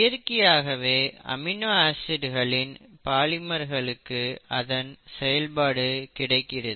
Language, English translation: Tamil, So by the very nature of the polymers of amino acids they get their function